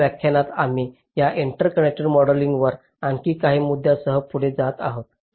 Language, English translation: Marathi, in the next lecture we shall be continuing with some more issues on ah, this interconnect modeling